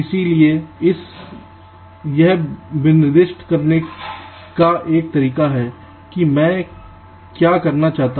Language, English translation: Hindi, so this is one way of specifying what i want to do